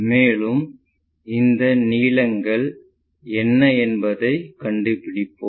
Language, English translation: Tamil, And, let us find what are that lengths